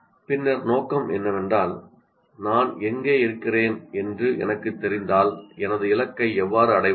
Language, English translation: Tamil, Then the mission is if I know where I am and how do I reach my target